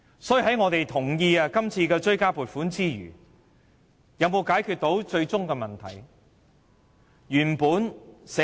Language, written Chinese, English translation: Cantonese, 所以，我們同意今次的追加撥款之餘，有否解決最終的問題？, Besides approving of the supplementary provisions this time around have we resolved the ultimate problem?